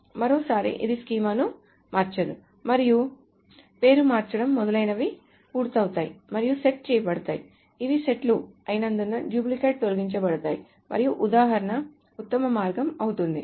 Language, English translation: Telugu, So once more this doesn't change the schema and renaming etc is done and the set, so because these are sets duplicates are removed and an example is the best way